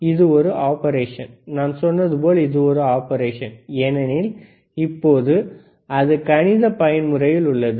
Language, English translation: Tamil, This is the operation, like I said it is an operation, because now is the right now it is in mathematical mode